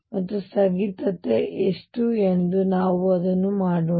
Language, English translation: Kannada, And how much is the discontinuity let us do that